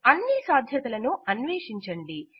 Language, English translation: Telugu, Explore all these possibilities